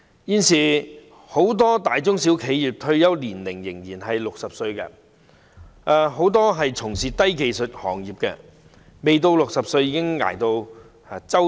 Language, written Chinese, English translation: Cantonese, 現時很多大中小企業的退休年齡仍是60歲，很多從事低技術行業的人士未到60歲已熬得五癆七傷。, At present the retirement age in many enterprises be they small medium or large is still 60 . Before reaching the age of 60 many low - skilled workers have already suffered from numerous infirmities and pains